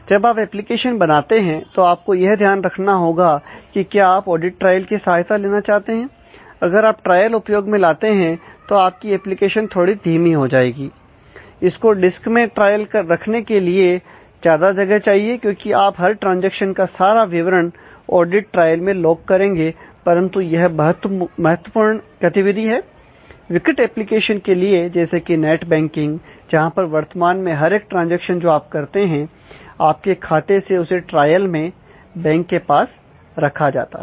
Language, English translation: Hindi, So, when you develop applications you have to consider has to whether, you would like to support audit trail of course, if you support audit trail then, somewhat your application will get slowed down, it will require more disk to keep that trail because, every transaction every details you will get logged in to the audit trail, but it is very, very important for critical applications like, net banking where currently it is mandated every transaction that, you do every action that you do on your account, through the net banking is trailed in the banks end